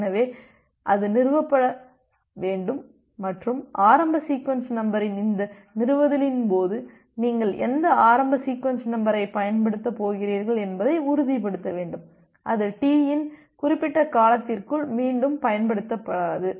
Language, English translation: Tamil, So, that need to be established and during this establishment of the initial sequence number you need to ensure that whichever initial sequence number you are going to use, that is not going to be reused to within certain duration of T